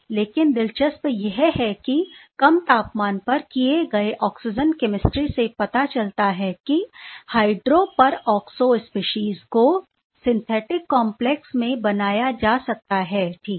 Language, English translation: Hindi, But quite interestingly the oxygen chemistry done at low temperature shows that the hydroperoxo species can form in the synthetic complex ok